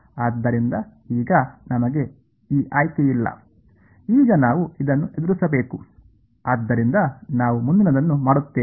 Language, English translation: Kannada, So, now, we have no choice now we must face this right, so that is what we do next